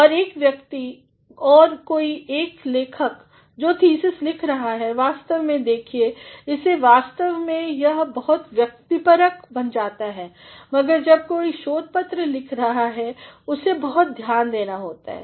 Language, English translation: Hindi, And, a person and somebody a writer who is writing a thesis, actually look at it actually becomes very subjective, but when somebody writes a research paper he has to be very focused